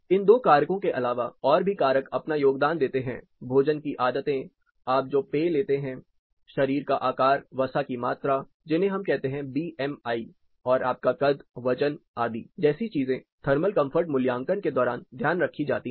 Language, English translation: Hindi, Other factors which are contributing to it apart from these two; depends on the food habits, the drink you take, body shape, the fat content we call you know BMI another height weight things which are taken into consideration during thermal comfort assessment